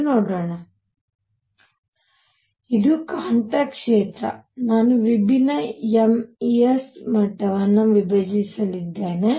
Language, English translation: Kannada, So, this is the magnetic field, I am going to have levels split for different m s